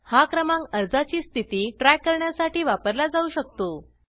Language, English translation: Marathi, This number can be used for tracking the status of the application